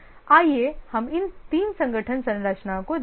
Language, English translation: Hindi, Let's look at three organization structures